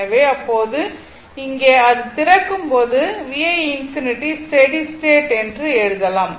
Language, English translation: Tamil, So, in that case, here as it open for that, this V 1 you can write as a V 1 infinity steady state